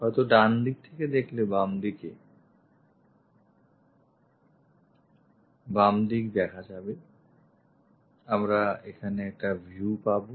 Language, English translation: Bengali, Perhaps left side from left side if you are looking on right side, we will have a view here